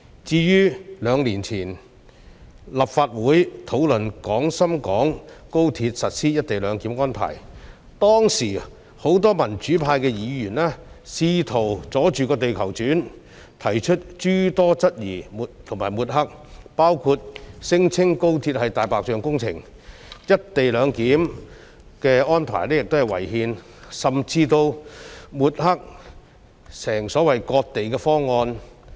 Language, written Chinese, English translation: Cantonese, 至於兩年前，立法會討論廣深港高鐵實施"一地兩檢"安排，當時很多民主派議員試圖"阻住地球轉"，提出諸多質疑和抹黑，包括聲稱高鐵是"大白象"工程、"一地兩檢"安排違憲，甚至抹黑有關安排為所謂的"割地"方案。, Two years ago when this Council deliberated on the implementation of co - location arrangement at the Guangzhou - Shenzhen - Hong Kong Express Rail Link XRL many Members of the pro - democracy camp attempted to hinder the progress by expressing all sorts of doubts and stigmatizing the project by say calling the XRL project a white elephant project claiming the co - location arrangement to be unconstitutional and even stigmatizing the project as what they called a territory - ceding proposal